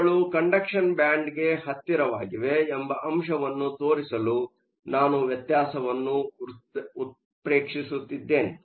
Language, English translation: Kannada, I am just exaggerating the difference to show the fact that they are close to the conduction band